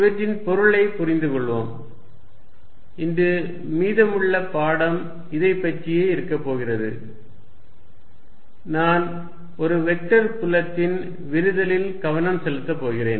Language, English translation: Tamil, Let us understand the meaning of these and that is what the rest of the lecture is going to be about today I am going to focus on divergence of a vector field